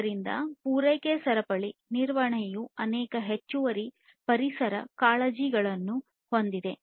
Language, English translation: Kannada, So, supply chain management has many additional environmental concerns as well